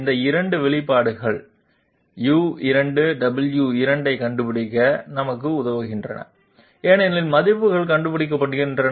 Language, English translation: Tamil, These 2 expressions help us in find out U2 W2 because the Delta values are being found out